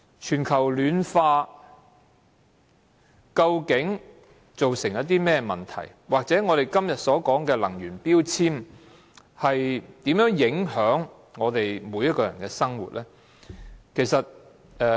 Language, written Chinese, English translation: Cantonese, 全球暖化究竟造成甚麼問題，或者我們今天所說的能源標籤，如何影響我們每一個人的生活呢？, What problems will be caused by global warming or how will energy labels which we are discussing today affect the lives of every one of us? . Recently global warming has become a very popular subject in the international arena